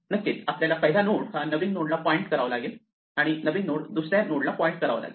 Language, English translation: Marathi, We must now make the first node point to the new node and the new node point to the old second node